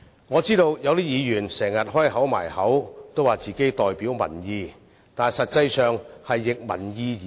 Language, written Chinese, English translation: Cantonese, 我知道有些議員經常說自己代表民意，但實際上卻是逆民意而行。, I know that some Members often call themselves representatives of the people but they actually act against public opinion